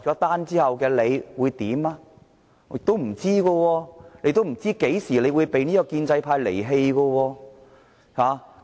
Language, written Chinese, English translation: Cantonese, 不知道，他也不知道何時會被建制派離棄。, Mr HO does not know when he will be deserted by other pro - establishment Members